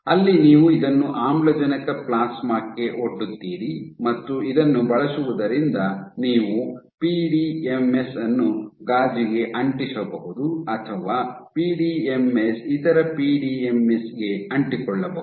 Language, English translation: Kannada, So, where you expose this to oxygen plasma and using this you can have PDMS stuck to glass or PDMS sticking to other PDMS